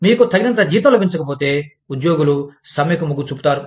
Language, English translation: Telugu, If you are not getting, enough salary, employees tend to go on strike